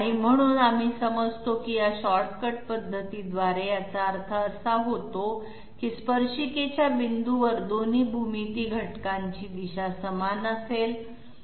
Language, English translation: Marathi, So we understand that by this shortcut method it essentially means that tat the points of tangency, both geometry elements would have the same direction